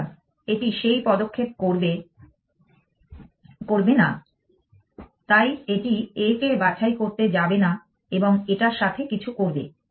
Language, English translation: Bengali, So, it will not make that move, so it is not going to pick up A and do something with it